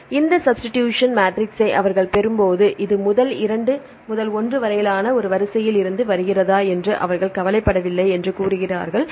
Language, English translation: Tamil, So, when they derive this substitution matrix say they do not care whether this from one sequence first 2 to 1